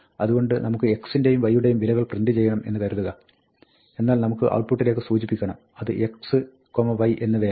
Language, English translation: Malayalam, So, we can say things, supposing, we want to print the value of x and y, but we want to indicate to the output, which is x, which is y